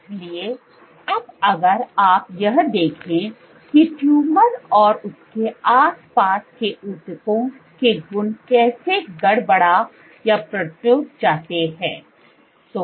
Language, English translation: Hindi, So, now if you look at how the properties of the tissue in and around the tumor get perturbed